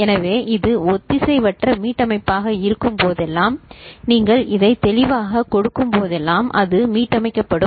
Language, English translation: Tamil, So, whenever this is asynchronous reset, so whenever you are giving this clear so it become all reset ok